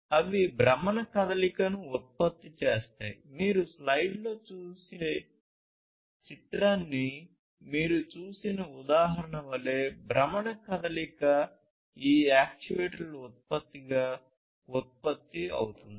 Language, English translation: Telugu, But, produces rotational motion like the example that you see the picture that you see in front of you, rotational motion is produced as an output of these actuators